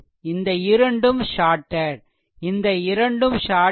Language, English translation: Tamil, So, this two are shorted these two are shorted